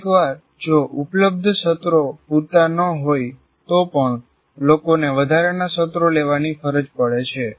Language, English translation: Gujarati, Sometimes even if available sessions are not enough, people are forced to take additional sessions